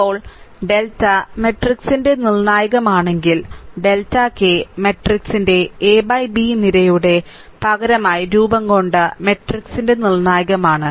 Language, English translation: Malayalam, Now, if delta is the determinant of matrix and delta k is the determinant of the matrix formed by replacing the k th column of matrix A by B